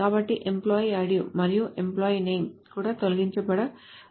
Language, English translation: Telugu, So even the employee idea and employee name may be deletes